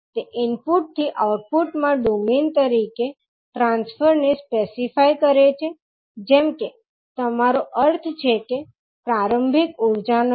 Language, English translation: Gujarati, It specifies the transfer from input to the output in as domain as you mean no initial energy